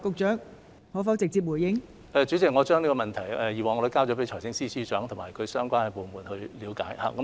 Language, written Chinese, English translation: Cantonese, 代理主席，我已經將這個問題轉交財政司司長及相關部門，以作了解。, Deputy President I have already referred the matter to the Financial Secretary and the departments concerned for examination